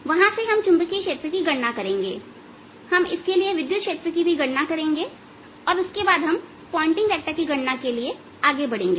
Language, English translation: Hindi, we will also calculate the electric field for this system and then on we'll move to calculate the pointing vector